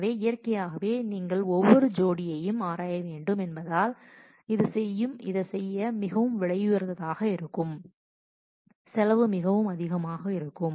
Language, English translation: Tamil, So, naturally since you have to examine every pair this could be quite expensive to perform and the cost may be quite high